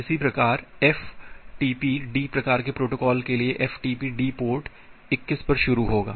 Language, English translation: Hindi, Similarly, for ftpd type of the protocol the ftpd will start at port 21